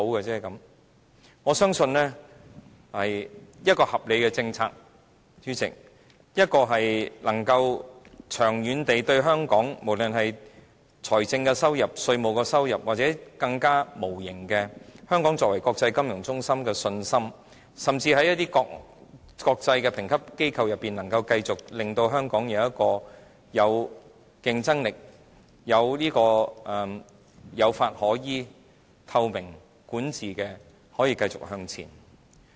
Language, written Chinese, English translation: Cantonese, 主席，我相信一項合理的政策，應是長遠對香港有益，不論是財政收入、稅務收入，或有更無形的益處，例如香港作為國際金融中心的信心，甚至在一些國際的評級機構中，能夠令香港繼續保持競爭力，使香港可以有法可依，維持透明管治，並繼續向前。, President a reasonable policy means a policy which is beneficial to Hong Kong in the long run regardless of whether we are looking at benefits in terms of fiscal income tax yield or some intangible benefits such as confidence in Hong Kongs status as an international financial centre or even the ability to stay competitive as shown in the rankings assigned by international rating agencies as well as the rule of law transparency in governance and our ability to keep going forward